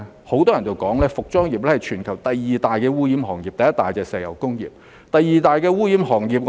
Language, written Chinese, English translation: Cantonese, 很多人說服裝業是全球第二大污染行業，而第一大是石油工業。, Many people call the fashion industry the second most polluting industry in the world after the oil industry